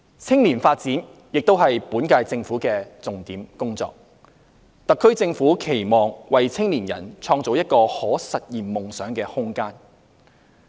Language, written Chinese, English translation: Cantonese, 青年發展亦是本屆政府的重點工作，特區政府期望為青年人創造一個可實現夢想的空間。, Youth development is also the priority task of the current - term Government . The SAR Government hopes to create room for young people to realize their dreams